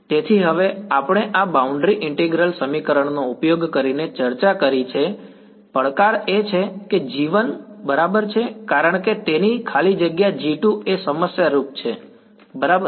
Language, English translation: Gujarati, So, now, the challenge that we have discussed using these boundary integral equations is that g 1 is fine because its free space g 2 is the problematic guy right